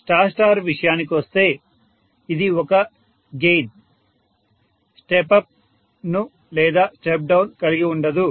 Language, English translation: Telugu, As far as star star is concerned it is a gain no step up, or step down, no phase shift